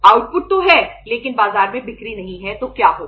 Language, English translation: Hindi, Output is there but there is no sales in the market so what will happen